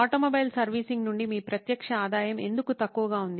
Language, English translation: Telugu, Why is your direct revenue from automobile servicing so low